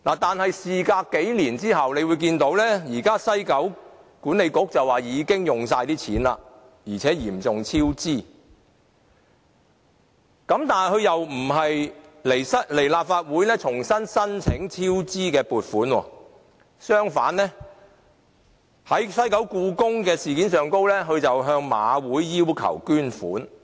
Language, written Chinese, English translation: Cantonese, 但是，事隔幾年，大家看到現時西九文化區管理局表示已經把錢花光，而且嚴重超支，但它卻不來立法會重新申請超支的撥款，反而在西九故宮文化博物館的事件上向馬會要求捐款。, But within a few years time we notice that the WKCD Authority has used up all its money and recorded a serious cost overrun . Instead of coming back to the Legislative Council to seek further funding to cover the cost overrun it sought funding from the Hong Kong Jockey Club for the proposed Hong Kong Palace Museum